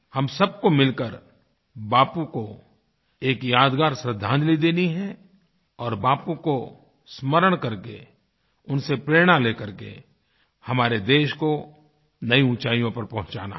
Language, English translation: Hindi, We all have to pay a memorable tribute to Bapu and have to take the country to newer heights by drawing inspiration from Bapu